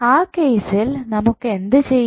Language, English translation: Malayalam, So, what will happen in this case